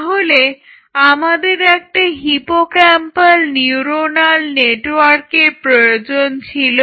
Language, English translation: Bengali, So, we needed a hippocampal neuronal network